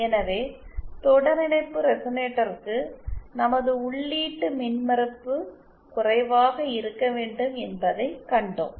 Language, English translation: Tamil, So, we saw that for a series resonator, our input impedance should be low